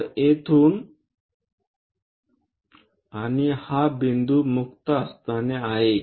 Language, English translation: Marathi, So, from here and this is the point so, a free hand sketch